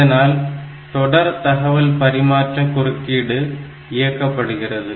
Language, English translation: Tamil, So, it will be enabling the serial transmission interrupt